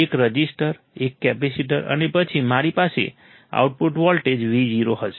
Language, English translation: Gujarati, A resistor,A capacitor, and then I will have output voltage Vo